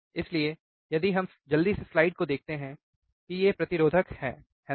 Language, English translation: Hindi, So, if we quickly see the slide these are the resistors, isn’t it